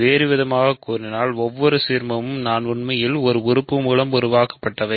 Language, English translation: Tamil, So, in other words every ideal I is in fact, generated by a single element